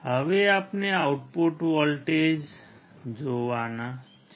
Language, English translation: Gujarati, Now, we have to see the output voltage